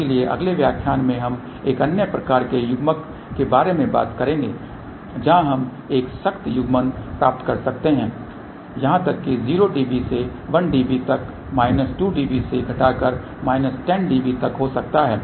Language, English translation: Hindi, So, in the next lecture we will talk about another type of a coupler where we can get a tighter coupling may be even a 0 db to minus 1 db to minus 2 db up to about minus 10 db